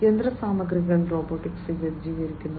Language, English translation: Malayalam, Machineries are robotic equipped